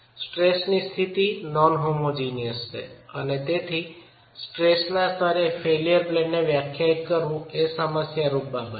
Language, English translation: Gujarati, The other aspect is the state of stress is non homogeneous and therefore defining failure planes at the level of stress is a problematic affair